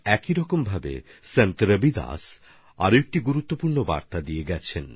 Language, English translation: Bengali, In the same manner Sant Ravidas ji has given another important message